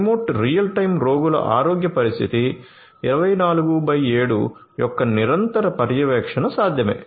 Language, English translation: Telugu, Remote real time continuous monitoring of patients health condition 24x7 is possible